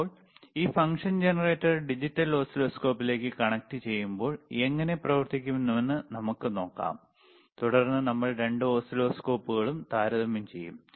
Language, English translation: Malayalam, Right now, let us see, that if you want to connect this person function generator to the digital oscilloscope how it will operate, aall right, and then we will compare both the oscilloscopes